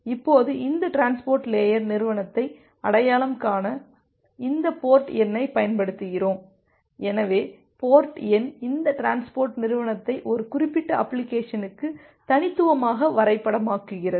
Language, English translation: Tamil, Now, to identify these transport layer entity we use this port number, so the port number uniquely maps this transport entity to a particular application